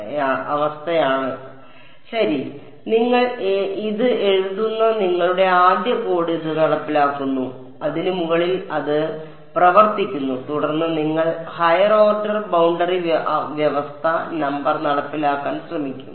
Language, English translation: Malayalam, So, your first code that you write this implement this get it working on top of that then you would try to implement higher order boundary condition no